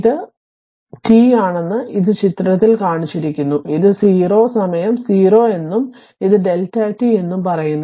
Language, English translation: Malayalam, And it is shown in figure this one this is t and this is say it is 0, time 0 and this is delta t